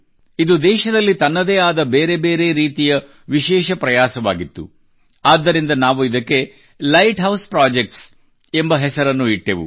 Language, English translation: Kannada, This is a unique attempt of its kind in the country; hence we gave it the name Light House Projects